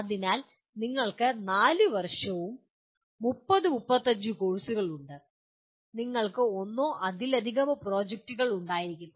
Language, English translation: Malayalam, So you have 4 years and possibly 30 35 courses and you have maybe one or more projects